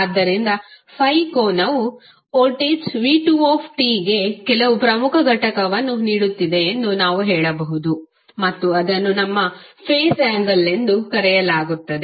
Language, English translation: Kannada, So, what we can say that the angle that is 5 is giving some leading edge to the voltage v2 and that is called our phase angle